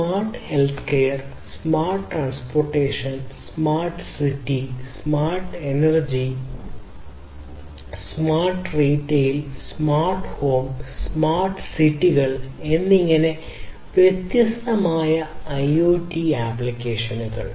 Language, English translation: Malayalam, So, the different IoT applications like smart health care, smart transportation, smart cities, smart energy, smart retail, smart home, smart cities overall